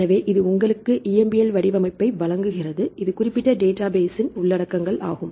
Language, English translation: Tamil, So, it gives you the EMBL format, this is the contents of this particular database